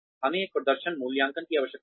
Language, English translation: Hindi, We need a performance appraisal